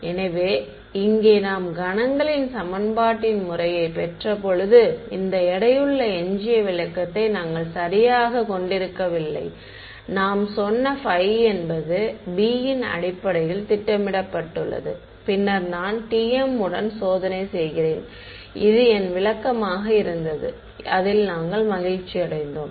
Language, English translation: Tamil, So, here when we have derived the method of moments equation over here, we did not have this weighted residual interpretation right, we just said phi is projected on basis b then I do testing along t m that was my interpretation we were happy with it